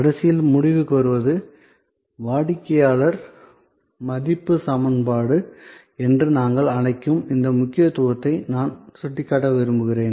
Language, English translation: Tamil, Lastly to conclude I would like to point out the importance of this, what we call the customer value equation